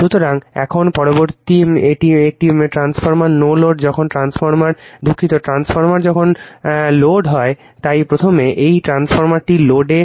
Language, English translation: Bengali, So, now next is a transformer on no load, right when transformer sorry transformer on load when transformer is on load, so firstthis transformer on load